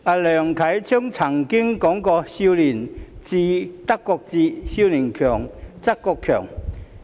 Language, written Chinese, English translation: Cantonese, 梁啟超曾經說過"少年智則國智，少年強則國強"。, LIANG Qichao once said If the young are intelligent the country will be intelligent; if the young are strong the country will be strong